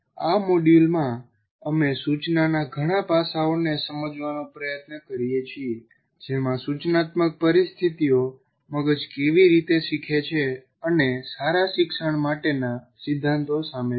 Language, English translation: Gujarati, So in this module we attempt to understand several aspects of instruction including instructional situations, how brains learn and the principles for good learning